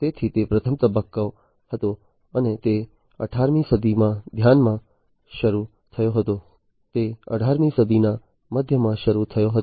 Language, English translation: Gujarati, So, that was the first stage and that started in the middle of the 18th century